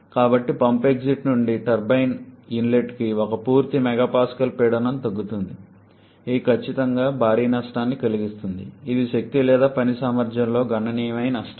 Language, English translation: Telugu, So, there is one full mega Pascal pressure drop from pump exit to the turbine inlet, which is definitely huge loss a significant loss in exergy or work potential